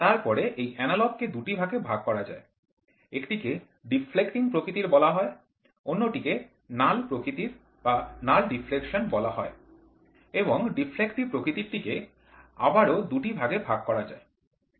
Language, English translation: Bengali, Then, this analog can be divided into two; one is called as deflecting type, the other one is called as null type, null deflection, right and this deflective can be further classified into two